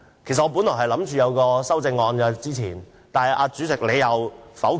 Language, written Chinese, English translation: Cantonese, 其實，我本來提出了修正案，但給主席否決了。, I originally proposed some amendments but they were rejected by the President